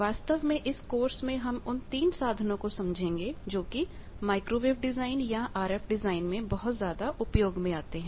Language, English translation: Hindi, Actually, in this course we will be seeing 3 tools which are heavily used for microwave design or RF design